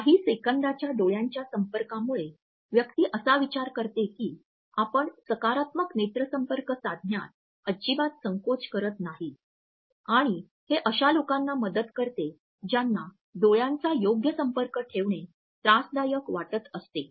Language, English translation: Marathi, For whatever reason this fraction of seconds of eye contact allows a person to think that you are not hesitant in making a positive eye contact and often it helps those people who feel awkward in maintaining a proper eye contact